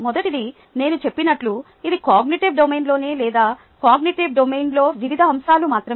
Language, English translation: Telugu, as i say, this is in the cognitive domain itself, or only the cognitive domain